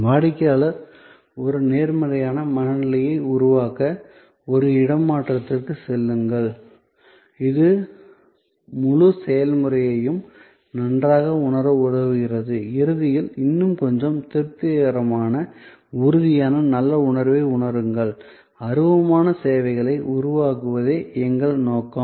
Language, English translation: Tamil, And go to a swage, the customer create a positive frame of mind, which help getting a better feel of the whole process and at the end feel in a little bit more satisfied, that tangible good feeling which is our aim to generate out of intangible services